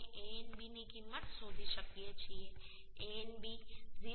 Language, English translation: Gujarati, 25 So now we can find out the value of Anb Anb will become 0